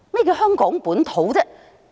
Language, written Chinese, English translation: Cantonese, 何謂"香港本土"呢？, What is meant by Hong Kong localism anyway?